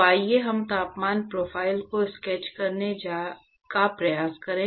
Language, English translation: Hindi, So, let us try to sketch the temperature profile